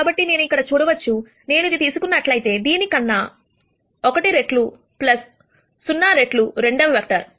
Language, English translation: Telugu, So, I can see that if I take this I can write it as 1 times this plus 0 times the second vector